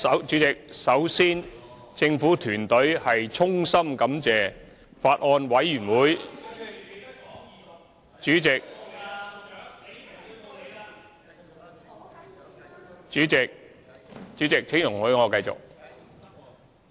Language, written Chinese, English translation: Cantonese, 主席，首先政府團隊衷心感謝法案委員會......主席，請容許我繼續......, First of all President the government team extends its heartfelt gratitude to the Bills Committee President please allow me to continue